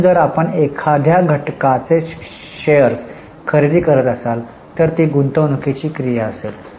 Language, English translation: Marathi, So, if you are purchasing shares of some entity it will be an investing activity